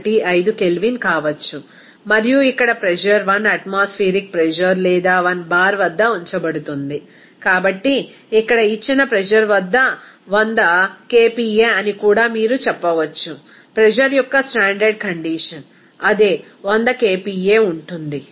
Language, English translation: Telugu, 15 Kelvin and then here since pressure is kept at that 1 atmospheric pressure or 1 bar, so here that at a given pressure is 100 kPa and also you can say that the standard condition of the pressure will be same 100 kPa